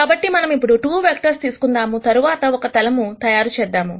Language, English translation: Telugu, Now, let us take 2 vectors and then make a plane